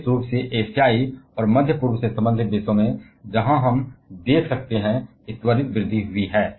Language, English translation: Hindi, Particularly in Asian and middle east related countries; where we can see there is an accelerated growth